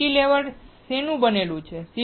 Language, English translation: Gujarati, Cantilever is made up of what